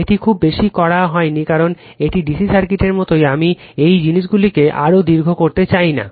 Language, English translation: Bengali, This not much done because, it is same as dc circuit right I never wanted to make these things much more lengthy